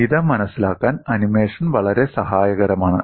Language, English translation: Malayalam, The animation is very helpful to understand this